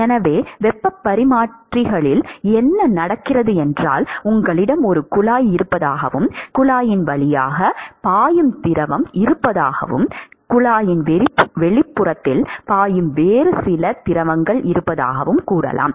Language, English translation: Tamil, So, in heat exchangers, what happens is you have let us say you have a pipe, you have some fluid which is flowing through the pipe, and you have some other fluid which is actually flowing in the outside of the pipe